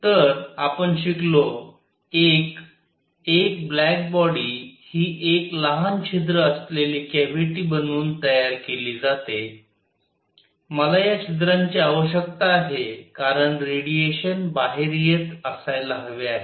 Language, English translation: Marathi, So we have learnt: 1, a black body is made by making a cavity with a small hole in it, I need this hole because the radiation should be coming out